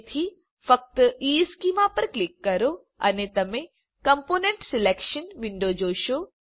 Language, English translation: Gujarati, Hence, simply click on EESchema and you will see the component selection window